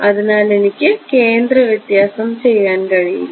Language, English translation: Malayalam, So, I cannot do centre difference